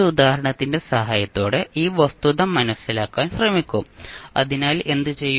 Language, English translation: Malayalam, We will try to understand the fact with the help of an example, so what we will do